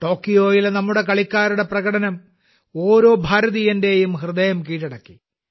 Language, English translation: Malayalam, The performance of our players in Tokyo had won the heart of every Indian